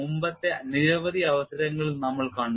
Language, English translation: Malayalam, We have seen in several earlier occasions